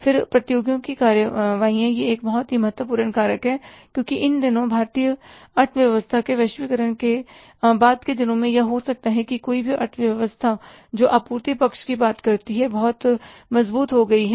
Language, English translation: Hindi, It's a very important factor that because these days after the globalization of Indian economy or maybe any economy you talk about, supply side has become very strong